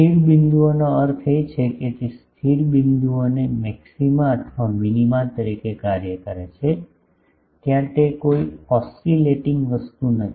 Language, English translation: Gujarati, Stationary points means where the, that function as a maxima or minima those stationary points, there it is not an oscillating thing